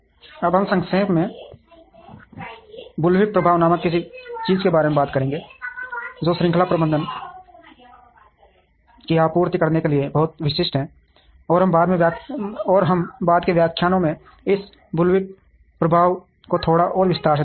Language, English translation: Hindi, Now, we will briefly talk about something called the bullwhip effect, which is very specific to supply chain management, and we would look at this bullwhip effect in a little more detail in subsequent lectures